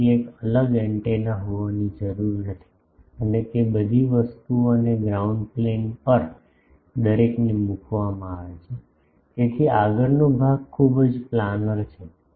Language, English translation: Gujarati, So, there is no need to have a separate antenna and all those things and on a ground plane everyone is put; so, the front part is very planar